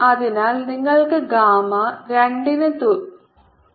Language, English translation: Malayalam, so you get gamma is equal to gamma is equal to two